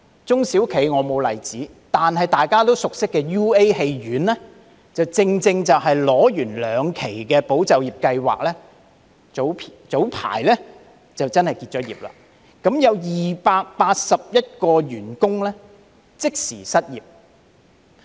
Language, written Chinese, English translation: Cantonese, 中小企方面我沒有例子，但大家熟悉的 UA 院線，正正是在申領兩期"保就業"計劃後，在早陣子宣布結業，共有281名員工即時失業。, I do not have any examples about SMEs . Yet UA Cinema which Members are familiar with announced its closure some time ago right after receiving the two tranches of ESS and had left 281 staff members unemployed immediately